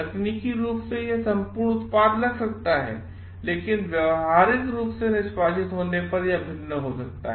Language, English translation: Hindi, Technically it may seem a perfect product, but it might vary when executed behaviourally